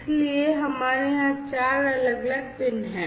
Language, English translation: Hindi, So, we have four different pins over here